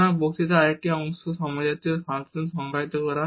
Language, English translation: Bengali, So, another part of this lecture is to define the homogeneous functions